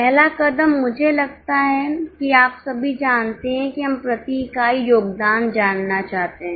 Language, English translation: Hindi, First step I think you all know we want to know the contribution per unit